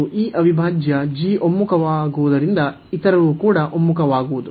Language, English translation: Kannada, And since this integral g converges, the other one will also converge